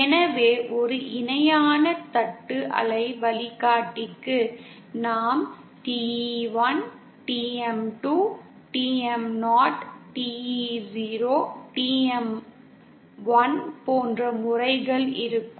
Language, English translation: Tamil, So we will have for a parallel plate waveguide we will have modes like TE1, TM 2, TM0, TE0, TM1 and so on